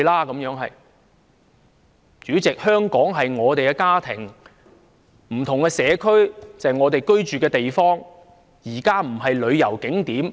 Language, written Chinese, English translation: Cantonese, 代理主席，香港是我們的家，不同的社區是我們居住的地方，不是旅遊景點。, Deputy Chairman Hong Kong is our home and different communities are our residential neighbourhoods instead of tourism attractions